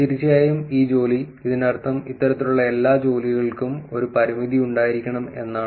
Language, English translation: Malayalam, Of course this work, meaning all of these kind of work has to have some kind of a limitation